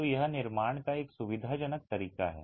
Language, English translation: Hindi, So, this is a convenient way of construction